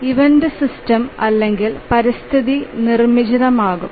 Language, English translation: Malayalam, And the event may be either produced by the system or the environment